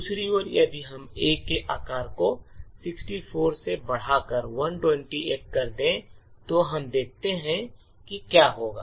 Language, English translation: Hindi, On the other hand, if we increase the size of A from say 64 to 128 let us see what would happen